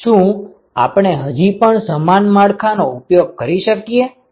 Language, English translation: Gujarati, Can we still use the same framework